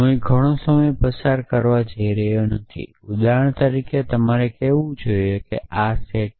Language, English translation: Gujarati, So, I am not going to spent too much of time here for example, you must say that this set